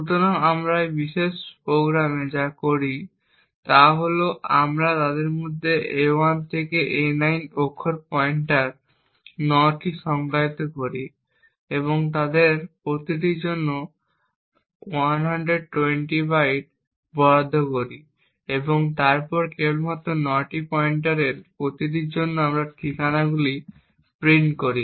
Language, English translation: Bengali, So, what we do in this particular program is that we define character pointers 9 of them a 1 to a 9 and allocate 120 bytes for each of them and then simply just print the addresses for each of these 9 pointers